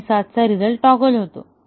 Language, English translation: Marathi, And, 7 outcome toggles